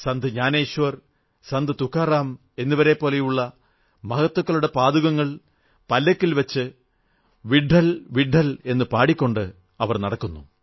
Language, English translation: Malayalam, Wooden foot wear or padukas of great saints like Saint Gyaneshwar and Saint Tukaram are placed in a palki and pilgrims begin their pilgrimage chanting "VitthalVitthal"